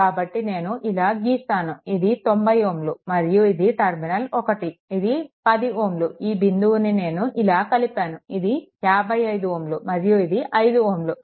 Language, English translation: Telugu, So, if I make it like this so, this is 90 ohm make it 1, this is 10 ohm right; that means, this point I connect like this and this is your 55 ohm and this is your 5 ohm right